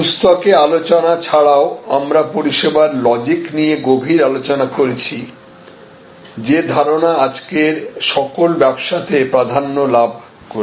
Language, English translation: Bengali, In addition to the discussions in the book, we had an extensive discussion here on service logic; that is the dominant concept for all businesses today